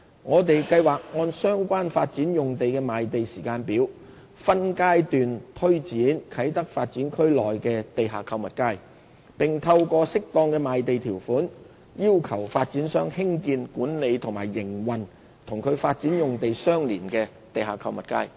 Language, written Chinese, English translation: Cantonese, 我們計劃按相關發展用地的賣地時間表，分階段推展啟德發展區內的地下購物街，並透過適當的賣地條款，要求發展商興建、管理及營運與其發展用地相連的地下購物街。, To tie in with the land sale programmes of the development sites concerned we plan to implement the underground shopping streets in KTD in stages . Suitable land sale conditions will be imposed to require the developers to build manage and operate the underground shopping streets connected with their development sites